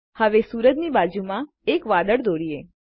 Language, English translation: Gujarati, Now, let us draw a cloud next to the sun